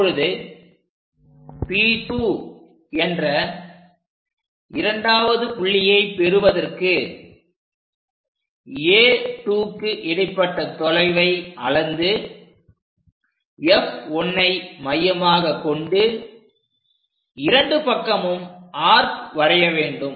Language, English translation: Tamil, Now, if we are moving to the second point to construct P 2 what we have to do is from A to 2 whatever the distance use that distance, but centre as F 1 make an arc on either side